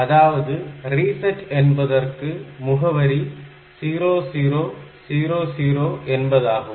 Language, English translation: Tamil, So, it will take you to the address 0000